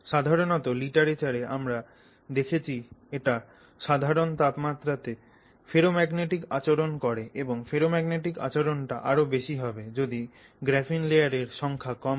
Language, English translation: Bengali, Generally the literature indicates that it shows you ferromagnetic behavior at room temperature and that this behavior is a little stronger and more pronounced if the number of layers is less